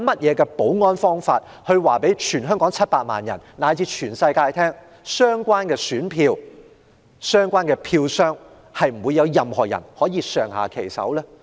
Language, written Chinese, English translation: Cantonese, 有何保安方法可讓全港700萬人以至全世界放心，知道相關選票及票箱不會遭人上下其手？, Are there any security measures to guarantee that the ballot papers and ballot boxes will be left untouched so as to ease the worries of 7 million people in Hong Kong and the whole world?